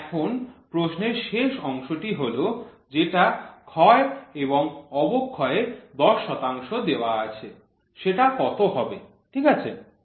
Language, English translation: Bengali, So, now the last part of the question is going to be what should be the wear and tear which is given as of 10 percent, ok